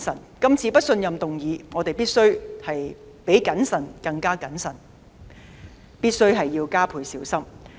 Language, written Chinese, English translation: Cantonese, 面對這次的不信任議案，我們必須比謹慎更謹慎，加倍小心。, Facing the motion of no confidence this time around we must act with even greater caution and extra care